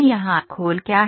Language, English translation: Hindi, What is shell here